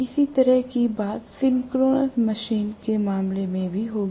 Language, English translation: Hindi, Similar thing will happen in the case of synchronous machine as well